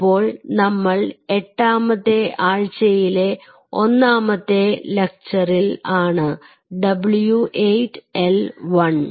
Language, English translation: Malayalam, so so we are in to week eight and lecture one w eight l one